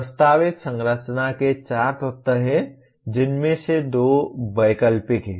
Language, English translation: Hindi, There are four elements of the proposed structure of which two are optional